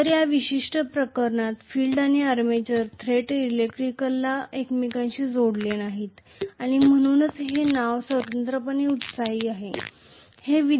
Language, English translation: Marathi, So, the field and armature are not directly electrically connected to each other in this particular case and hence the name separately excited